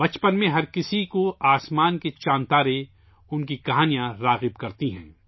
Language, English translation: Urdu, During one's childhood, stories of the moon and stars in the sky attract everyone